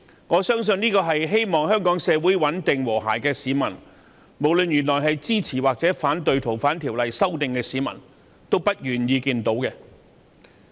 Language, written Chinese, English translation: Cantonese, 我相信，凡是希望香港穩定和諧的市民，不管本身支持還是反對修訂《逃犯條例》，都不願意看到這種情況。, I do not think anyone either supporters or opponents of the Bill who wish Hong Kong to remain stable and harmonious would wish to see this happen